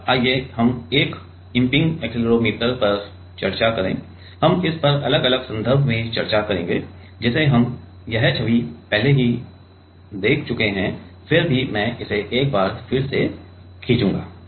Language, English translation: Hindi, Now, let us discuss one of the impinge accelerometer we will discuss this in different context which we have already seen this image still I will draw it once more